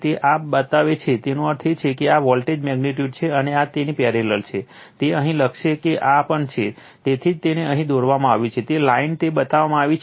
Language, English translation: Gujarati, So, this is this shows the; that means, this voltage magnitude is V p and this one is parallel to this will write here this is also V p right, so that is why it is drawn it here dash line it is shown